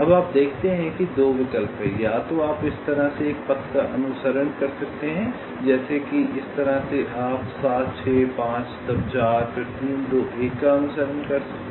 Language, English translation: Hindi, either you can follow a path like this, like this, like this, or you can follow seven, six, five, then four, then three, two, one